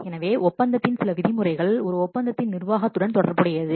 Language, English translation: Tamil, So some terms of a contract will relate to management of a contract